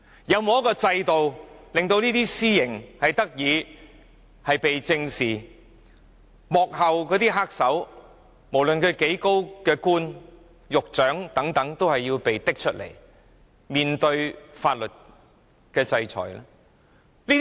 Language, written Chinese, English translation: Cantonese, 有沒有制度令私刑受到正視，也令幕後黑手，無論官階多高均要接受法律制裁？, Is there any system that allows lynching to be taken seriously and the manipulators behind the scene to be subject to legal sanctions no matter how high their official ranks are?